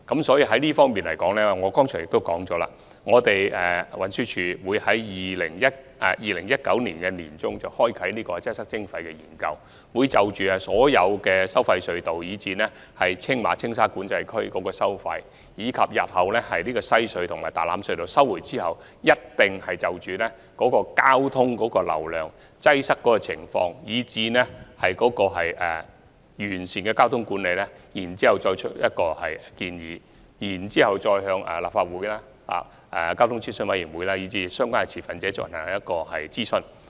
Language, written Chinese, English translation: Cantonese, 就這方面，我剛才亦已指出，運輸署會在2019年年中啟動"擠塞徵費"研究，就所有收費隧道及青馬和青沙管制區的收費、日後收回西隧及大欖隧道後的交通流量及擠塞情況，以及如何完善交通管理提出建議，並會諮詢立法會、交通諮詢委員會及相關持份者。, In this regard as I just highlighted TD will commence a study on congestion charging in mid - 2019 with a view to making recommendations in respect of the tolls of all the tolled tunnels TMCA and TSCA; the traffic flows and the congestion situations at WHC and Tai Lam Tunnel after their future takeovers; and the ways to perfect traffic management . Besides the Legislative Council the Transport Advisory Committee and the relevant stakeholders will also be consulted